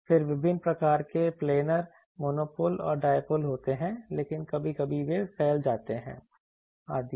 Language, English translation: Hindi, Then there are various types of planar monopoles, and dipoles, but sometimes they becomes dispersive etc